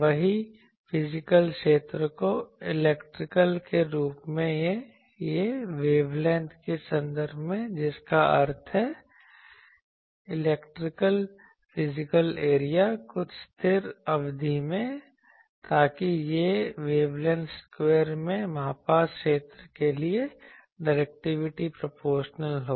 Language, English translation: Hindi, The same thing that physical area as a electrical or in terms of wavelength that means, the electrical physical area into the some constant term, so that is directivity is proportional to the area measured in wavelength square